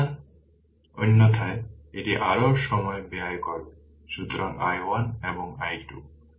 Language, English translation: Bengali, So, otherwise it will consume more time; so, i 1 and i 2